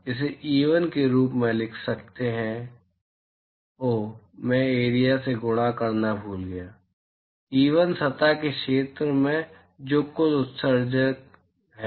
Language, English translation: Hindi, So, we can write this as E1, oh, I forgot to multiply by area, E1 into area of the surface that is the total emission